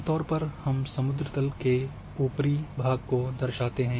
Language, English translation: Hindi, Generally we represent above mean sea level